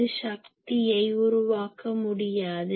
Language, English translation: Tamil, It cannot produce power